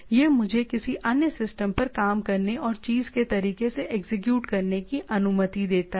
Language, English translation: Hindi, It allows me to work on another system and execute the thing right